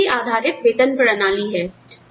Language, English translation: Hindi, That is the individual based pay system